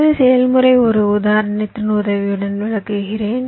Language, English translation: Tamil, so the process i will just explain with the help of an example